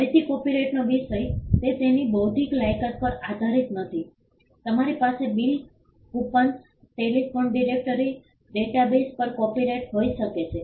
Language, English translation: Gujarati, Again, the subject matter of copyright is not based on its intellectual merit; you can have a copyright on bills, coupons, telephone directories databases